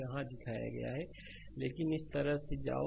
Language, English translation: Hindi, I have shown it here, but go like this